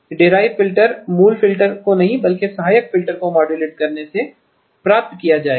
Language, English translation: Hindi, The derived filters will be derived from not by modulating the basic filter, but by the auxiliary filter